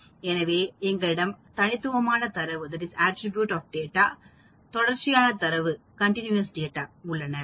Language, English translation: Tamil, So, we have the discrete data we have the continuous data